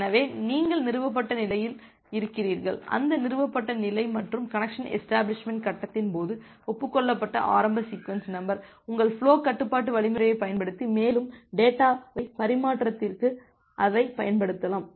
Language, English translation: Tamil, So, you are at the established state and with that established state and the initial sequence number that has been agreed upon during the connection establishment phase; you can use that for further data transfer using your flow control algorithm